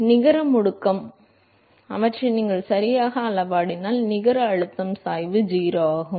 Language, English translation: Tamil, And so, the net acceleration and therefore, the net pressure gradient if you scale them properly is 0